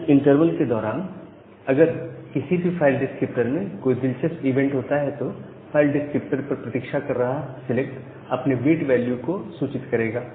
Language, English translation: Hindi, And during that interval if an interesting event happens to any of the file descriptor that select is waiting on that file descriptor will notify its wait queue